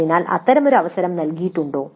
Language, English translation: Malayalam, So is there such an opportunity given